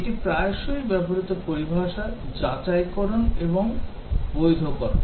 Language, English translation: Bengali, This is also very frequently use terminology Verification versus Validation